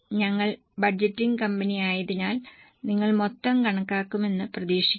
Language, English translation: Malayalam, Since we are in the budgeting, company would expect you to calculate total as well